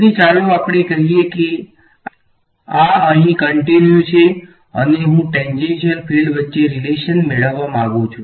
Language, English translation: Gujarati, So, let us say that this is continues over here and I want to get a relation between the tangential fields